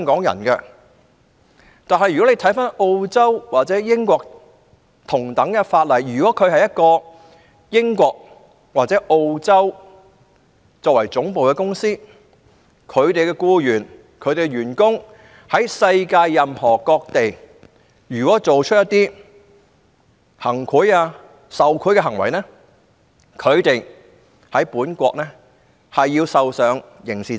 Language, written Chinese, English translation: Cantonese, 然而，根據澳洲或英國的同等法例，如果一間澳洲或英國公司的僱員在世界任何地方作出行賄或受賄行為，則他們在本國將要承擔刑事責任。, Any Hong Kong citizen having bribed local officials in an African country is not bound by PBO . Nevertheless under the equivalent legislation of Australia or the United Kingdom the employee of an Australian or United Kingdom company having committed bribery or corrupt acts elsewhere is subject to criminal liability imposed by Australia or the United Kingdom